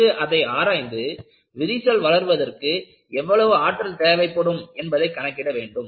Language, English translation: Tamil, From, then on, we will find out, what is energy for require for the crack to grow